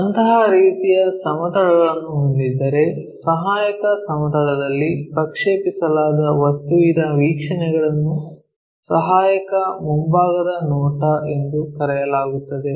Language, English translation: Kannada, If we have such kind of planes, the views of the object projected on the auxiliary plane is called auxiliary front view